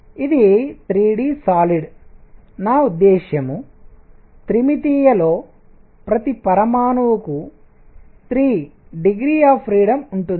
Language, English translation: Telugu, So, if this is 3 d solid by 3 d, I mean 3 dimensional, each atom has 3 degrees of freedom